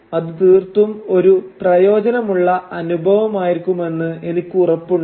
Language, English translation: Malayalam, And I am sure that it will be a very rewarding experience